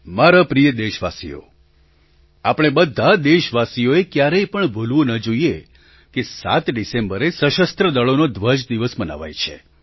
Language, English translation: Gujarati, My dear countrymen, we should never forget that Armed Forces Flag Day is celebrated on the 7thof December